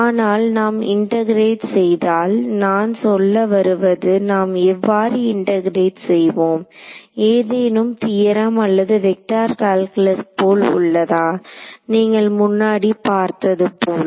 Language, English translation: Tamil, But if we if I integrate I mean how do I integrate; does it look like some theorem or vector calculus you have already seen